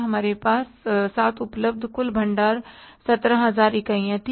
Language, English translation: Hindi, Total stock available with us was 17,000 units